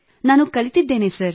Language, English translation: Kannada, I have learned